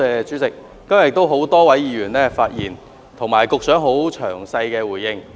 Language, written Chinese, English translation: Cantonese, 主席，今天有多位議員發言，局長亦作出詳細回應。, President a number of Members have spoken today and the Secretary has responded in detail